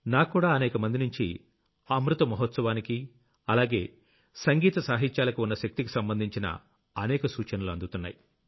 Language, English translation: Telugu, I too am getting several suggestions from you regarding Amrit Mahotsav and this strength of songsmusicarts